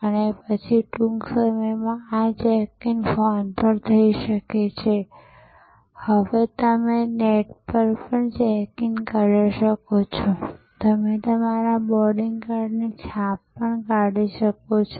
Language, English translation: Gujarati, And then soon, these check in could be done on phone and now, you can do the check in on the net; you can even print out your boarding card